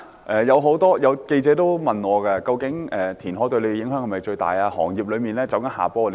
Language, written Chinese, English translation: Cantonese, 有記者問我，究竟填海對我代表的行業界別是否影響最大？, Some reporters ask me whether the constituency that I represent is the most affected by reclamation